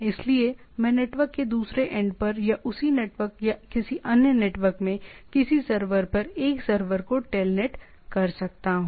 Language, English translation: Hindi, So, I can TELNET to a server to another server at a at the other end of the network or in the same network or a different network